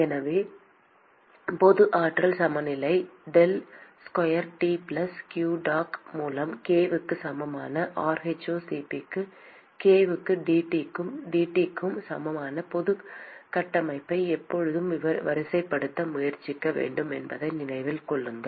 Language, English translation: Tamil, So, keep in mind that the general energy balance we should always try to sort of look at the general framework with del square T plus q dot by k equal to rho c p by k into dT by dt